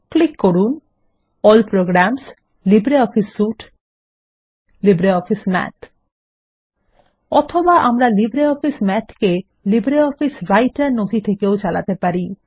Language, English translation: Bengali, Click on All Programsgtgt LibreOffice Suitegtgt LibreOffice Math Or we can call it from inside a LibreOffice Writer document